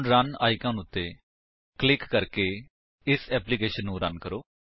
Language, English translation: Punjabi, Now, let us Run this application by clicking on Run icon